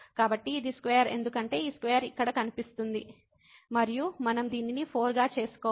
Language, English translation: Telugu, So, this is square because of the square this square will appear here, and we have to make this 4